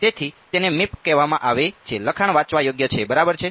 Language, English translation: Gujarati, So it is called Meep the text is readable yeah ok